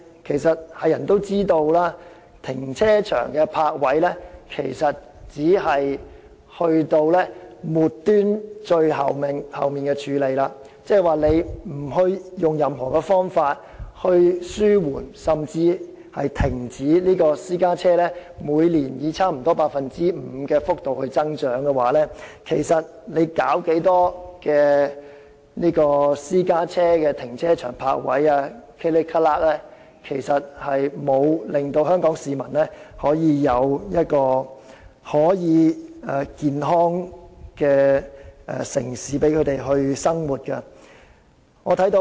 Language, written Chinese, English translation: Cantonese, 但是，眾所周知，泊車位只是最末端的處理措施，如不採用任何方法紓緩甚至煞停私家車以每年差不多 5% 的幅度繼續增長，無論增加多少供私家車使用的停車場和泊車位，也不能令香港市民得享健康的城市生活。, However as we all know the provision of parking spaces is just a measure for handling the problem at the lowest end . If no measure is in place to contain and even put a halt to the increase in the number of private vehicles which will grow at a rate of nearly 5 % per year the Government can never make Hong Kong a healthy city for those who live here no matter how many more car parks and parking spaces it will provide for private cars